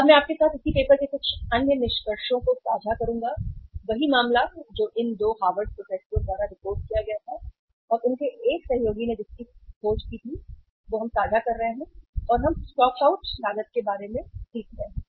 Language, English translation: Hindi, Now I would share with you some of the other findings of the same uh paper, same case which was reported by uh these 2 Harvard professors plus one of their associate on the basis of whose finding we are sharing and we are learning about the stock out cost